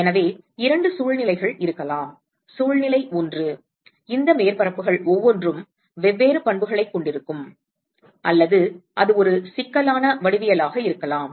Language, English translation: Tamil, So, there can be two situations; situation one is where each of these surfaces will have different properties or it could be a complicated geometry